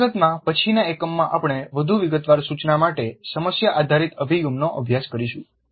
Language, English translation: Gujarati, In fact, in a later unit we'll study the problem based approach to instruction in greater detail